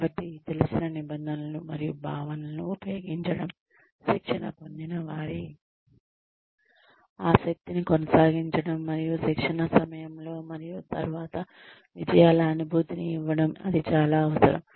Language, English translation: Telugu, Use of familiar terms and concepts, to sustain the interest of trainees, and to give them, a feeling of success, during and after training